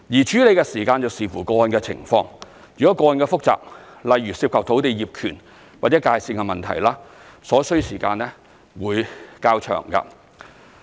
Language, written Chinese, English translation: Cantonese, 處理時間視乎個案的情況，如個案複雜，例如涉及土地業權或界線問題，所需時間會較長。, The processing time is subject to individual circumstances and will be longer for complicated cases such as those involving land ownership or site boundary issues